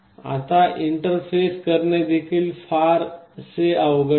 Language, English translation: Marathi, Now, interfacing is also not quite difficult